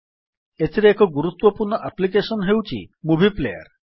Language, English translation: Odia, In this we have one important application i.e Movie Player